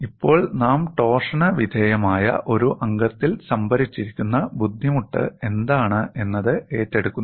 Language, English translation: Malayalam, Now, we will take up what is the strain energy stored in a member subjected to torsion